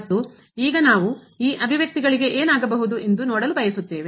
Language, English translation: Kannada, And now we want to see that what will happen to these expressions